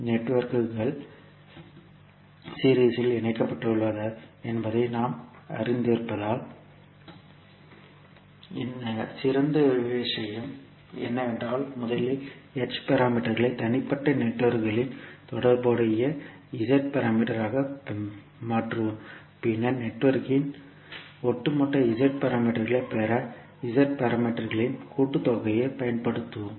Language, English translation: Tamil, Since we know that the networks are connected in series, the best thing is that let us first convert the H parameters into corresponding Z parameters of individual networks and then use the summation of the Z parameters to get the overall Z parameters of the network and then when we get all the parameters of the circuit for a series network that is the Z parameter of the overall network, we can convert this Z parameter again back into H parameter